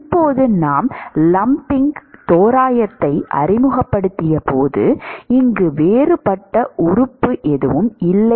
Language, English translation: Tamil, Now when we introduced the lumping approximation, there is no differential element here